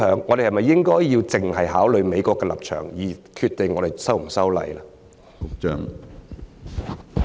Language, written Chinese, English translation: Cantonese, 我們應否只考慮美國的立場，而決定是否修例？, Should we consider solely the US stance in deciding whether to amend the law?